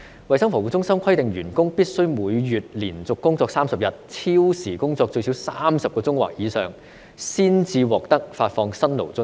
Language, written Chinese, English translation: Cantonese, 衞生防護中心規定員工必須每月連續工作30天，超時工作最少30小時或以上，才可獲得發放辛勞津貼。, The Centre for Health Protection CHP requires its employees to work 30 consecutive days and work overtime for at least 30 hours in a month before they are eligible to receive Hardship Allowance